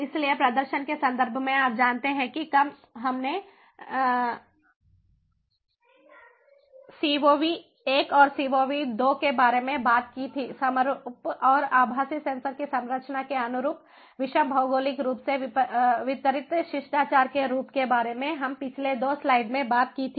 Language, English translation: Hindi, so in terms of the performance, you know, when we talked about cov one and cov two, corresponding to the composition of the virtual sensors in the homogenous and the heterogeneous geographically distributed, ah a manners as we spoke about in the previous two, ah, previous two slides